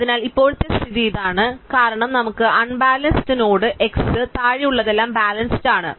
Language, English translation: Malayalam, So, now this is the current situation as we have it with an unbalanced node x everything below is balanced